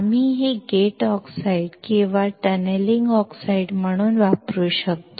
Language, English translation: Marathi, We can use this as a gate oxide or tunneling oxides